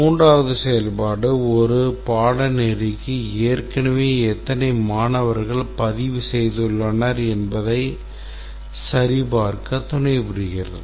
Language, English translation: Tamil, Third one is that at support checking how many students have already registered for a course